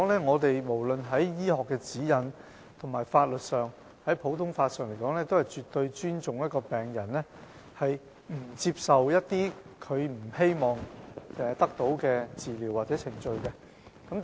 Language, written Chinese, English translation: Cantonese, 現時，不論是在醫學指引，或普通法法律上來說，我們均絕對尊重病人不接受他們不希望得到的治療或程序的決定。, At present no matter whether we are talking about medical guidelines or legal requirements under the common law we absolutely respect patients decision of not receiving certain treatments or procedures which they do wish to receive